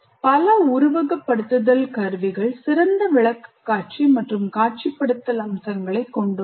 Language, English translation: Tamil, Many simulation tools have good presentation and visualization features as well